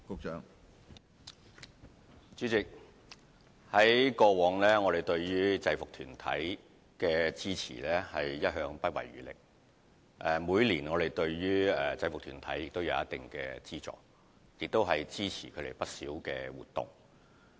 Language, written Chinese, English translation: Cantonese, 主席，我們對於制服團體的支持，過去一向是不遺餘力的，而且每年亦會給予一定的資助，更支持他們不少的活動。, President we have all along been giving unreserved support to the uniformed groups providing funding for them year on year and supporting many of their events